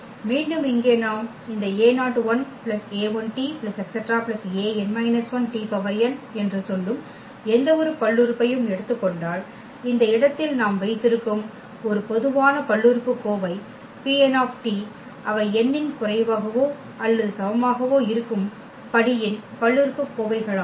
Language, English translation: Tamil, So, again here if we take any polynomial that say this a 0 a 1 t a 2 t square that is a general polynomial we have in this space P n t they are the polynomials of the degree less than or equal to n